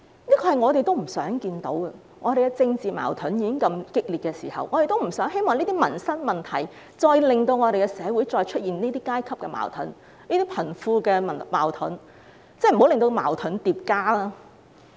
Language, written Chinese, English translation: Cantonese, 這是我們不想看到的情況，在政治矛盾這樣激烈的時候，我們不希望這些民生問題進一步令社會出現這些階級矛盾和貧富矛盾，不要再令矛盾增加。, Such is a situation we do not wish to see . When political conflicts are so intense we do not want these livelihood issues to cause any further class conflict or conflict between the rich and the poor in society . Do not let any more conflict arise